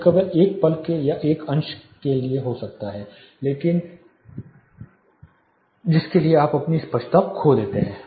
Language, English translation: Hindi, It may be a fraction of second for which you lose your clarity of vision